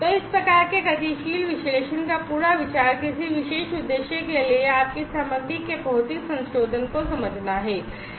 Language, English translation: Hindi, So, the whole idea of this type of dynamic analysis is to understand your material modification of your material for a particular purpose